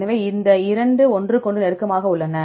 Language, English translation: Tamil, So, there is which two are close to each other